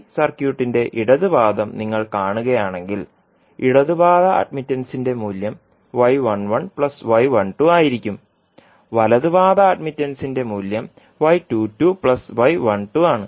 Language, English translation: Malayalam, So, if you see the left leg of the pi circuit, the value of left leg admittance would be y 11 plus y 12